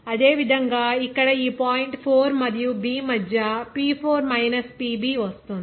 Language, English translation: Telugu, Similarly, here P4 minus PB between this point 4 and B, it will be coming there